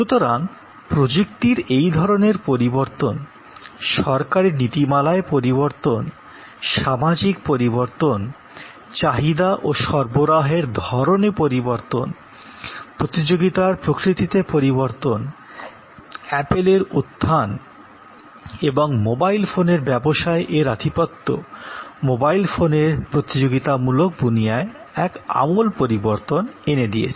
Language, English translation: Bengali, So, this kind of change in technology change in government policies social changes, changing the nature of demand and supply changing the nature of competition the emergence of apple and it is dominants in the mobile phone industry is a radical change in the competitive landscape of mobile phones